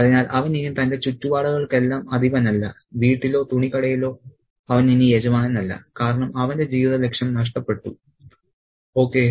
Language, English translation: Malayalam, He is no longer the lord either at home or in the clothes shop because his purpose in life is gone